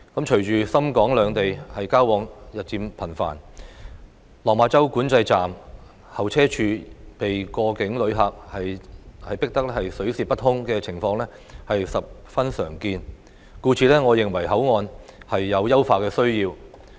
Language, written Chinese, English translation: Cantonese, 隨着港深兩地交往日漸頻繁，落馬洲管制站候車處被過境旅客擠得水泄不通的情況十分常見，故此我認為口岸有優化的需要。, With the increasing interaction between Hong Kong and Shenzhen it is a very common phenomenon that the waiting area of the Lok Ma Chau Control Point is overcrowded with cross - boundary passengers . Therefore I consider that the port needs improvement